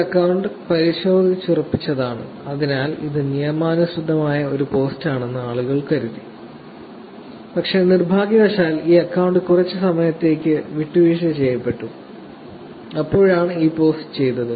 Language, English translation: Malayalam, This tweet is verified and therefore, people thought that it is a legitimate post, but unfortunately this account was compromised, for a little bit of the time and that is when this post was done